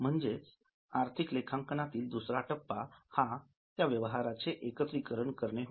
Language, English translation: Marathi, So, the first step in financial accounting is recording of every transaction